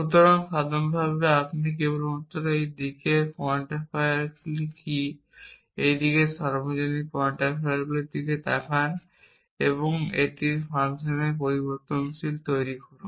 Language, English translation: Bengali, So, in general you just look at what are the quantifiers on the on this side universal quantifiers on this side and make that variable of function of that